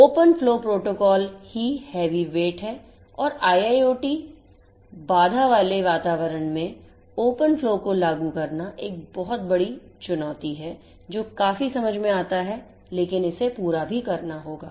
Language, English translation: Hindi, Open flow protocol itself is heavyweight and implementing open flow as such in IIoT constraint environments lossy environments is a huge challenge which is quite understandable, but it has to be done as well